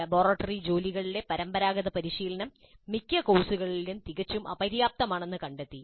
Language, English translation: Malayalam, And conventional practice in the laboratory work is also found to be quite inadequate in most of the cases